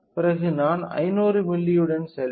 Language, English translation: Tamil, Then, I will go with somewhere around 500 milli